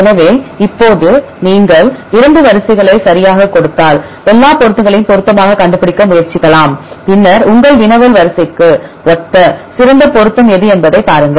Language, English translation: Tamil, So, now here if you give the 2 sequences right, the earlier one we give one sequence we have try to find the match all the matches and then see which will has the best match that would be similar to your query sequence